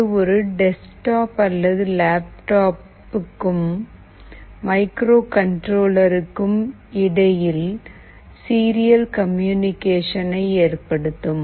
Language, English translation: Tamil, It is a software tool that enables serial communication between a desktop or a laptop and the microcontroller